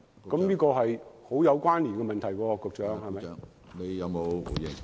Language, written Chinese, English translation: Cantonese, 這是極有關連的問題，局長。, So this supplementary question is very much relevant Secretary